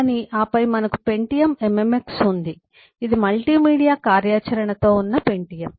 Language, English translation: Telugu, But then we have pentium mmx, which is pentium with multimedia functionality